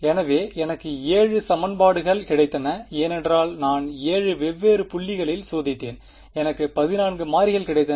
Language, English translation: Tamil, So, I got 7 equations because I tested at 7 different points I got another of 14 variables